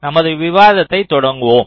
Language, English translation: Tamil, so we start our discussions